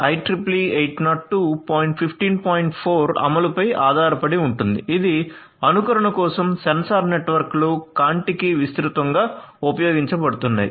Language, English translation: Telugu, 4 implementation in this quantity operating system which is for simulation of sensor networks Contiki is widely used